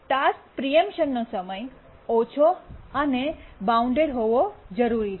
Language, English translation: Gujarati, The task preemption time need to be low and bounded